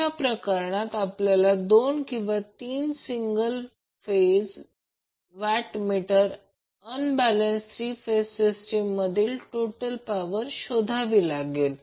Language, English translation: Marathi, In that case, we need either two or three single phase what meters to find out the total power in case of unbalanced three phase system